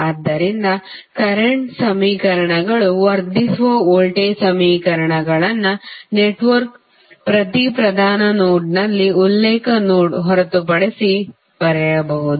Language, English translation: Kannada, So, the current equations enhance the voltage equations may be written at each principal node of a network with exception of reference node